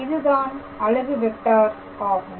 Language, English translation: Tamil, So, what is the vector